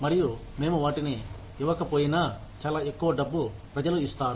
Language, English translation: Telugu, And, even if we do not give them, so much of money, people will come